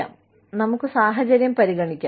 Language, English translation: Malayalam, So, let us consider the situation